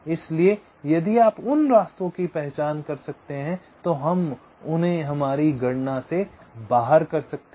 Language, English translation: Hindi, so if you can identify those path, we can leave them out from our calculation